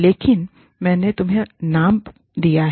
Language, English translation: Hindi, But, i have given you the name